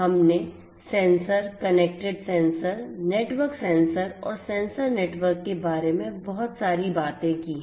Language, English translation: Hindi, We have talked about a lot about sensors, connected sensors, networked sensors, sensor networks